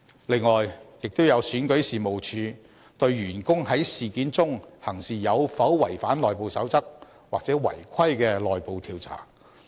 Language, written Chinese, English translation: Cantonese, 另外，亦有選舉事務處對員工在事件中行事有否違反內部守則或違規的內部調查。, Besides REO will also conduct an internal investigation to establish if any staff member has violated any internal guidelines or contravened any regulations in the incident